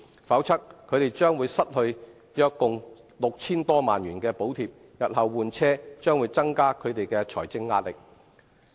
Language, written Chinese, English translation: Cantonese, 否則，他們將會失去約共 6,000 多萬元的補貼，日後換車將增加他們的財政壓力。, Otherwise they will lose subsidies in the amount of some 60 million in total and the change of vehicles in future will heighten their financial pressure